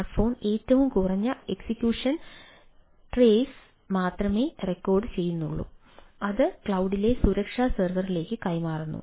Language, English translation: Malayalam, the smartphone records only a minimum execution trace and transmit it to the security server in the cloud